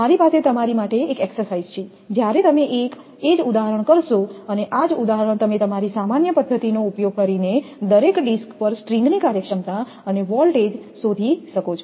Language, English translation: Gujarati, I have one exercise for you when you will do this that same example, the example you find out your string efficiency and voltage across each disk using that your general method